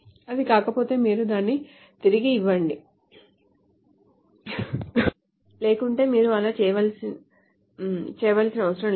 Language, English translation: Telugu, If it is not you return it otherwise you don't have